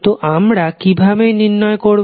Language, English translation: Bengali, So, how we will calculate